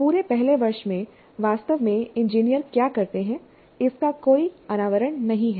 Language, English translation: Hindi, In the entire first year, there is no exposure to what actually engineers do